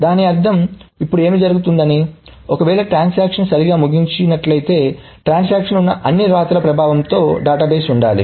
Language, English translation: Telugu, So, that means now what is happening now if the transaction actually finishes correctly, the database should have the effect of all the rights that the transaction did